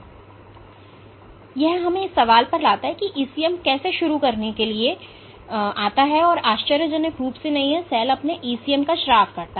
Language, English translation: Hindi, So, that brings us to the question how does the ECM come into play to begin with, and it is perhaps not surprisingly that cell secrete their own ECM